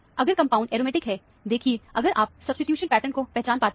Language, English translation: Hindi, If the compound is aromatic, see, if you can recognize the substitution pattern